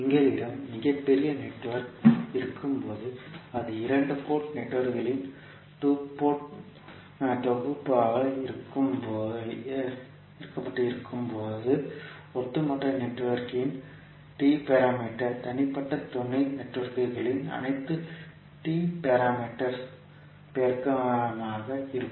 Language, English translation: Tamil, So whenever we have very large network and it is connected as a set of cascaded two port networks, the T parameter of overall network would be the multiplication of all the T parameters matrices of individual sub networks